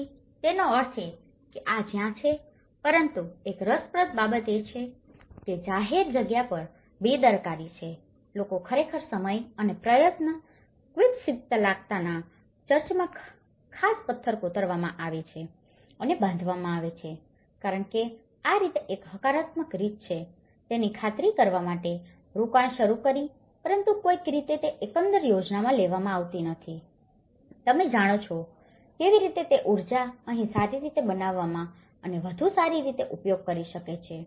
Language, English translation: Gujarati, So, which means, this is where, there is a negligence on the public space itself but one interesting thing is people have invested the time and effort to actually to make this particular carved stone church in Quispillacta built because this is how one positive sign of it but somehow it has not been taken into the overall scheme, you know, how the same energy could have well better used here in making this well